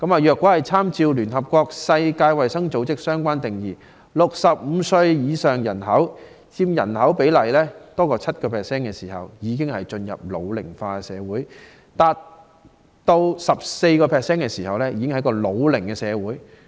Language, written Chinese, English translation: Cantonese, 若參照聯合國世界衞生組織的相關定義 ，65 歲以上的人所佔總人口比例達 7% 時，便已經進入"老齡化社會"；達 14% 時便是"老齡社會"。, According to the definition given by the World Health Organization of the United Nations when the ratio of persons aged 65 or above to the total population of a society reaches 7 % it becomes an ageing society; and when the ratio reaches 14 % it becomes an aged society